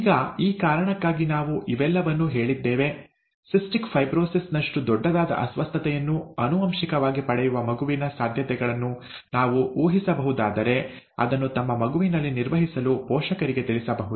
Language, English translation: Kannada, Now, we said all this for this reason: if we can predict a child's chances to inherit a disorder, okay, something as major as cystic fibrosis, the parents can be informed to handle it in their child, okay